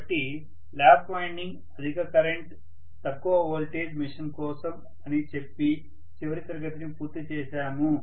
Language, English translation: Telugu, So we just completed the last class saying that lap winding is meant for high current low voltage machine